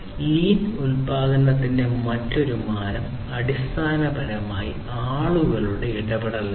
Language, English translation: Malayalam, The other the another dimension of a lean production is basically people engagement